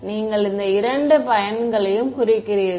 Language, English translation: Tamil, You mean these two guys